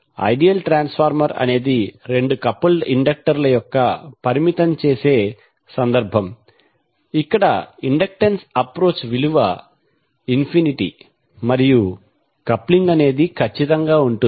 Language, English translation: Telugu, That ideal transformer is the limiting case of two coupled inductors where the inductance is approach infinity and the coupling is perfect